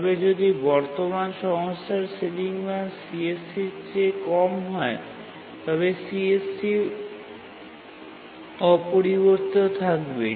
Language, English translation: Bengali, But if the ceiling value of the current resource is less than CSE, then CSEC remains unchanged